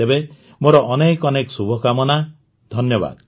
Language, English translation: Odia, So I wish you all the best and thank you very much